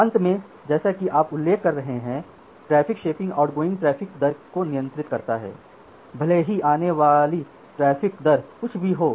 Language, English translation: Hindi, Finally, the traffic shaping as you are mentioning the so, the traffic shaping control the outgoing traffic rate, irrespective of the incoming traffic rates